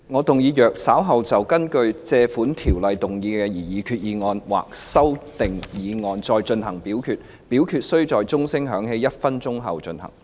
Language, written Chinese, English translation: Cantonese, 主席，我動議若稍後就根據《借款條例》動議的擬議決議案或其修訂議案再進行點名表決，表決須在鐘聲響起1分鐘後進行。, President I move that in the event of further divisions being claimed in respect of the Proposed resolution under the Loans Ordinance or any amending motions thereto this Council do proceed to each of such divisions immediately after the division bell has been rung for one minute